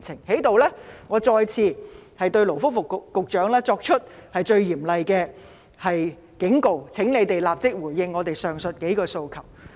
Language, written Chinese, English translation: Cantonese, 我在此再次向勞工及福利局局長作出最嚴厲的警告：請立即回應我們上述數個訴求。, Once more I give the Secretary of Labour and Welfare the most stern warning Respond to our requests mentioned above at once